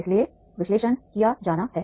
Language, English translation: Hindi, So therefore the analysis is to be done